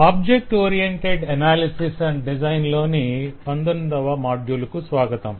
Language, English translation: Telugu, welcome to module 19 of object oriented analysis and design